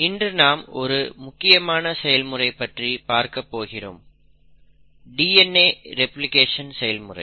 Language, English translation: Tamil, Today we are going to talk about a very important process, the process of DNA replication